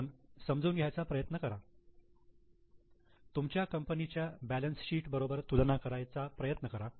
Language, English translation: Marathi, So, try to understand, try to compare with balance sheet of your own company